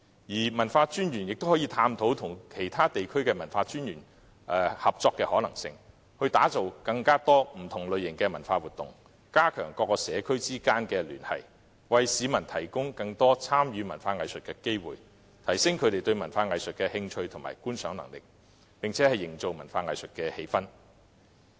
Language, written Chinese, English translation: Cantonese, 各區文化專員亦可探討與其他地區合作的可能性，打造更多不同類型的文化活動，加強社區之間的聯繫，為市民提供更多參與文化藝術的機會，提升他們對文化藝術的興趣及觀賞能力，並營造文化藝術的氣氛。, The commissioners for culture in various districts can also explore the possibility of cooperation with other districts to create a greater variety of cultural activities and strengthen the connection between different communities . It can thus provide more opportunities for the people to participate in arts and culture stimulate their interest in and appreciation of the same and create a favourable atmosphere for arts and culture